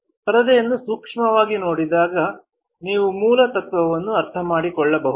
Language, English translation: Kannada, On a closer look to the screen, you can understand the basic principle of using the same